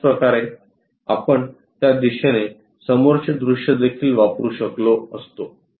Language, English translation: Marathi, Similarly, we could have used front view in that direction also